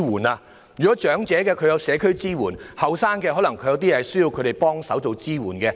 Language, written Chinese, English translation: Cantonese, 不僅為長者提供社區支援，也可以為年青人提供協助和支援。, They will not only provide community support for elderly persons but will also provide assistance and support to young people